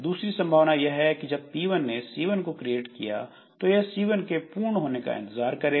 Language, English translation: Hindi, Other possibility is that once this P1 has created the child, it waits for this child to be over